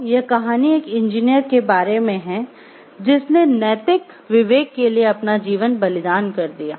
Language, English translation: Hindi, So, this story is about an engineer who sacrificed his life for ethical consults